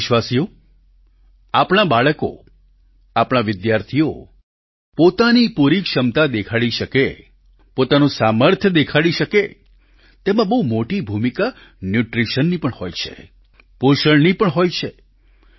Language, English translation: Gujarati, Dear countrymen, for our children and our students to display their optimum potential, show their mettle; Nutrition and proper nourishment as well play a very big role